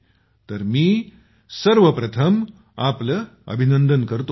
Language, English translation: Marathi, So first of all I congratulate you heartily